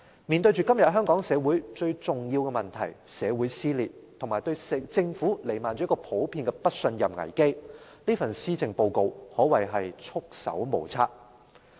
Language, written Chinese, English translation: Cantonese, 面對今天香港社會最重要的問題：社會撕裂及對政府彌漫着普遍不信任危機，這份施政報告可謂束手無策。, Facing the most important issue of the Hong Kong society today dissension within society and the crisis of no confidence in the Government in general this Policy Address is unable to do anything